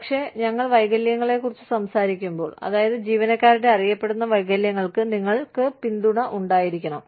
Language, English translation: Malayalam, But, when we talk about disabilities, i mean, you need to have support, for the known disabilities of employees